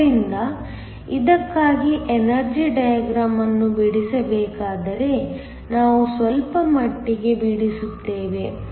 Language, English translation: Kannada, So, if were to draw the energy diagram for this, we just draw slightly